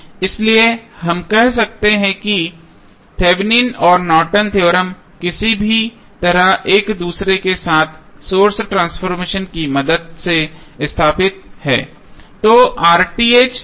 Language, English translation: Hindi, So, we can say that Thevenin and Norton's theorem are somehow related with each other with the help of source transformation